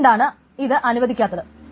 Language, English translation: Malayalam, So that is why this is not allowed